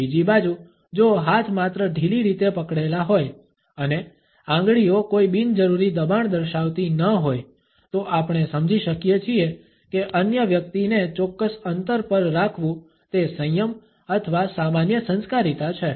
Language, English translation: Gujarati, On the other hand if the hands are only loosely clenched and fingers do not display any unnecessary pressure, we can understand that it is either a restraint or a common courtesy to keep the other person at a certain distance